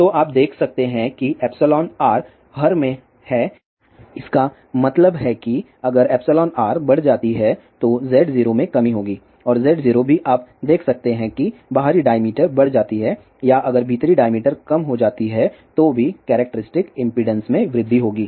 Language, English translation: Hindi, So, you can see that epsilon r is in the denominator ; that means, if epsilon r increases then Z 0 will decrease and Z 0 is also you can see that as the outer diameter increases or if the inner diameter decreases, then also characteristic impedance will increase